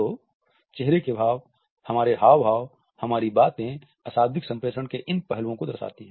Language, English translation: Hindi, So, facial expressions, our gestures, our postures these aspects of nonverbal communication